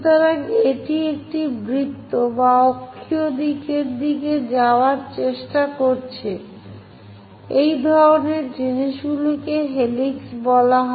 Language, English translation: Bengali, So, basically it is a circle which is trying to move in the axial direction; such kind of things are called helix